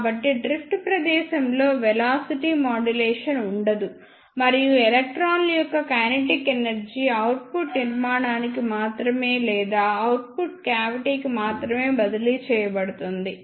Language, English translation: Telugu, So, there will be no velocity modulation in the drift space and the kinetic energy of the electrons will be transferred to output structure only or output cavity only